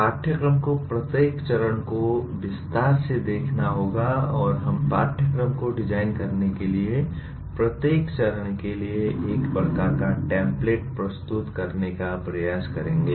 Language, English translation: Hindi, The course will look at how to look at each phase in detail and we will try to present a kind of a template for each phase for designing the course